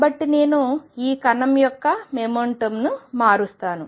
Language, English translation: Telugu, So, I will change the momentum of this particle